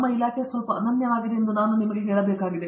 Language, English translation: Kannada, I have to tell you that our department is little unique